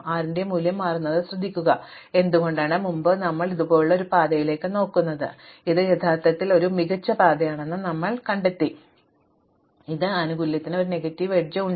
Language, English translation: Malayalam, Notice the value of 6 itself changes, why because earlier we were looking at a path like this and now we have discovered that this is actually a better path like this, which has also a negative edge to add to the benefit